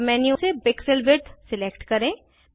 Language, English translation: Hindi, From the sub menu select Pixel Width